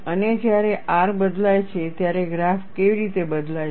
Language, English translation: Gujarati, And when R is changed, how does the graph changes